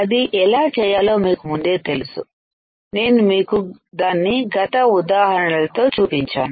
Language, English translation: Telugu, You already know how to do that, I have shown it to you in previous examples